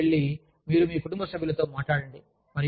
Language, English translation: Telugu, You talk to your family members